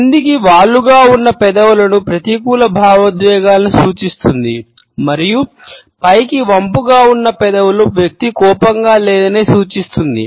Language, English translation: Telugu, The downward slant of lips etcetera suggests negative emotions and the upward tilt suggests that the person is not angry